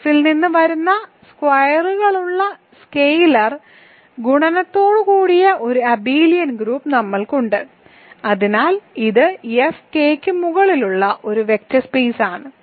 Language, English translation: Malayalam, So, we have an abelian group with the scalar multiplication with scalars coming from F, so it is a vector space over F ok